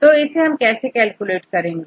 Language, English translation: Hindi, This is how to calculate